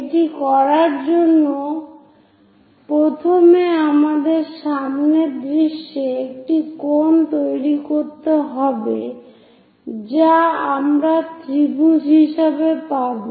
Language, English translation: Bengali, So, to do that first of all we have to construct a cone in the frontal view which we will get as a triangle